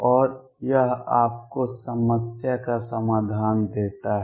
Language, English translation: Hindi, And that gives you the solution of the problem